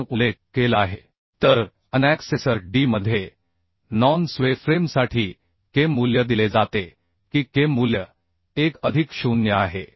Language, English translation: Marathi, 2 it is mentioned so in annexure D for non sway frame the K value are given that K value is 1 plus 0